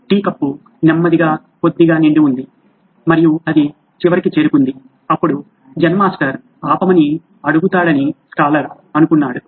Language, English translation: Telugu, The tea cup was slowly filling up little by little and it reached the end and the scholar thought that the Zen Master would ask him to stop but he didn’t